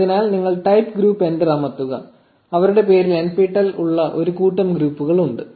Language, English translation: Malayalam, So, you change the type to be group press enter and there is a bunch of groups with nptel in their name